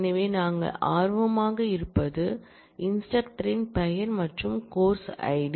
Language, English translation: Tamil, So, what we are interested in is, the name of the instructor and course id